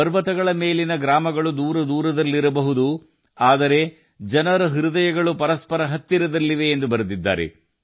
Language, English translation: Kannada, He wrote that the settlements on the mountains might be far apart, but the hearts of the people are very close to each other